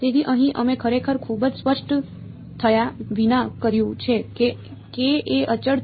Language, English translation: Gujarati, So, here what we did without really being very explicit about is that k is a constant right